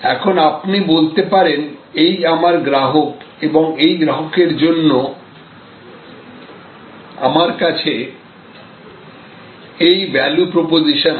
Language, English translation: Bengali, Now, you can say, this is the customer and for this customer, I have this bunch of value proposition